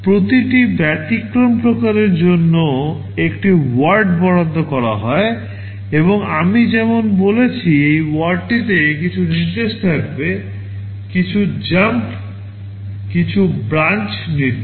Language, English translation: Bengali, One word is allocated for every exception type and as I have said, this word will contain some instruction; some jump, some branch instruction